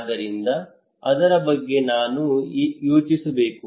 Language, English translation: Kannada, Then what to think about it